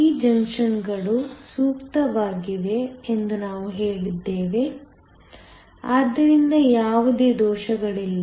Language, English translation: Kannada, So, we said that these junctions are ideal, so that there are no defects